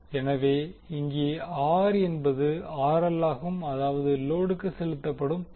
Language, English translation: Tamil, So here, R means RL the power delivered to the load